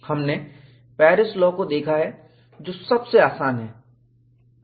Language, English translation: Hindi, We have seen Paris law, which is the simplest